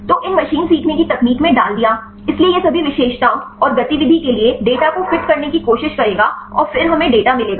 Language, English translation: Hindi, So, put in these machine learning techniques; so, this will try to fit the data for all the features plus the activity and then we will get the data